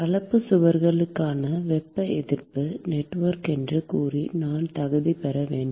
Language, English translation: Tamil, I should qualify it by saying Thermal Resistance Network for composite walls